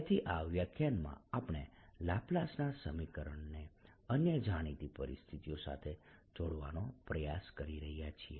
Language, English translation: Gujarati, so what we to do in this lecture is connect the laplace equation with other known situation